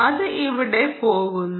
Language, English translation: Malayalam, that is there